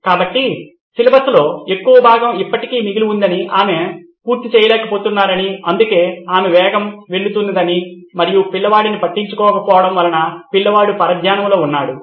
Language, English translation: Telugu, So let’s say a large portion of syllabus still remains and she is not able to cover that’s why she is going fast and since the kid cannot keep up the kid is distracted